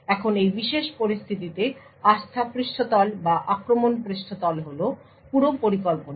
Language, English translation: Bengali, Now the trust surface or the attack surface in this particular scenario is this entire scheme